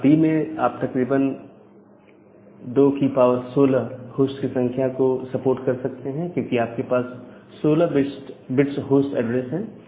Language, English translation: Hindi, In case of class B, you can support close to 2 to the power 16 number of host because you have a 16 bit of host address